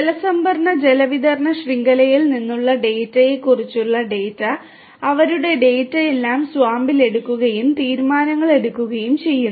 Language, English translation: Malayalam, And data about data from the water reserve water distribution network their data everything fed together at SWAMP and decisions being made